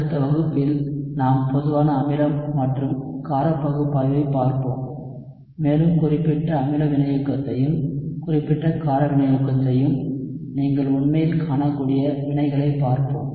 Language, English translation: Tamil, And in the next class, we will look at the general acid and basic analysis and we will look at reactions where you can actually see the specific acid catalysis and specific base catalysis